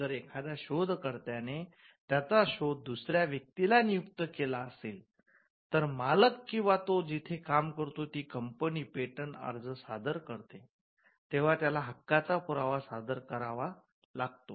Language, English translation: Marathi, When an inventor assigns his invention to another person, say the employer or the company where he works, then the company, when it files in patent application, it has to show the proof of right